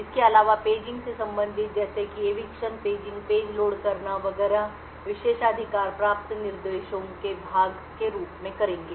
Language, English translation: Hindi, Also the paging related aspects such as eviction of a page, loading of a page all done as part of the privileged instructions